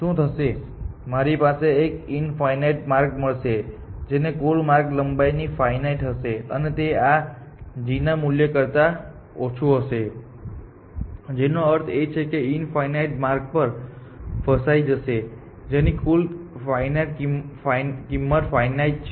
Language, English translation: Gujarati, What will happen, I will have an infinite path whose total path length will be finite essentially, and that finite could be less than this g value, which means that it could get actually trapped in that infinite path essentially, which has the finite total cost